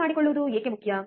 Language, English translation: Kannada, Why important to understand